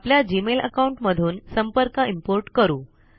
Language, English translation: Marathi, Lets import the contacts from our Gmail account